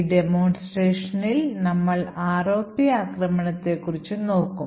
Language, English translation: Malayalam, In this demonstration we will looking at ROP attack